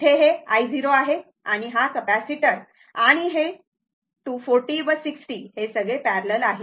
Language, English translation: Marathi, Here, it is i 0 and this capacitor this 240 60 all are in parallel